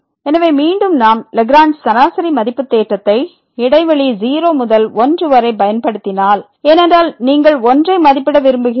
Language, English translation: Tamil, So, again if we use the Lagrange mean value theorem in the interval to because you want to estimate